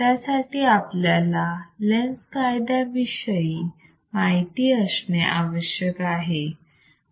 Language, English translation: Marathi, and wWe should know a law called Lenz’s law; Lenz’s law